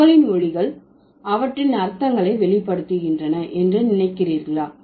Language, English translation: Tamil, So, do you think the words, sorry, the sounds of words reveal their meanings